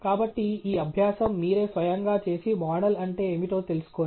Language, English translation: Telugu, So, go through this exercise by yourself and get a feel of what it means to model